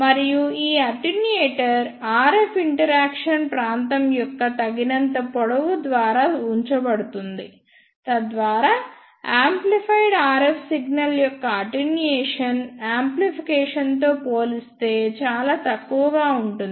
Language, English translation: Telugu, And this attenuator is placed after a sufficient length of RF interaction region, so that the attenuation of amplified RF signal is insignificant as compared to the amplification